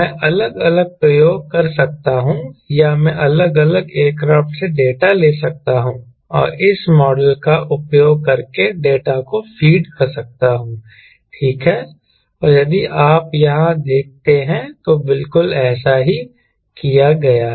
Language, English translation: Hindi, i can do different experiments or i can take the data from different aircraft and feed the data using this model, right, and that is exactly has been done